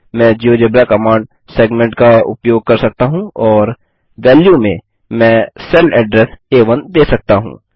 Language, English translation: Hindi, I can use the geogebra command segment and in the value I can give the cell address A1 let me move this here ,B1 and say enter